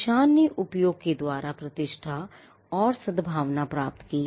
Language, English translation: Hindi, Marks attained reputation and goodwill by usage